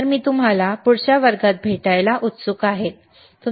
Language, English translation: Marathi, So, I look forward to see you in the next class, right